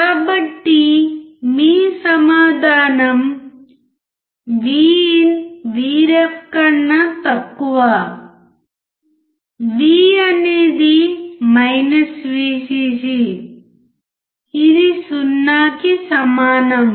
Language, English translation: Telugu, So, your answer is VIN is less than VREF; V is VCC which is equal to 0